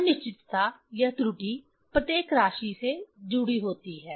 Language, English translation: Hindi, Uncertainty or error is associated with each quantity